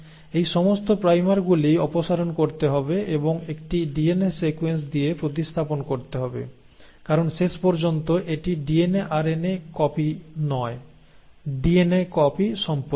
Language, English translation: Bengali, All these primers have to be removed and have to be replaced with a DNA sequence, because in the end it is about copying the DNA and not DNA RNA molecule